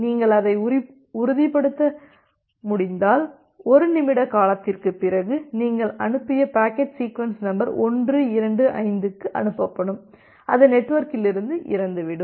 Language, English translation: Tamil, If you can ensure that then you know that after 1 minute duration, the packet that you have send to it sequence number 125 that is going to die off from the network